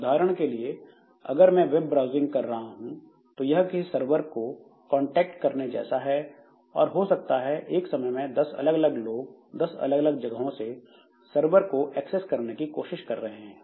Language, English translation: Hindi, So, web browsing ultimately it is contacting some server and maybe there are 10 different people who are accessing from different places and all of them are trying to access a server